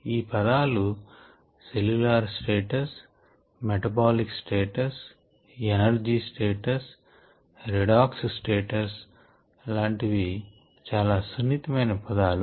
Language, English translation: Telugu, these terms cellular status, metabolic status, energy status and so on, so forth, redox status and so on, these are kind of soft terms you knowneed to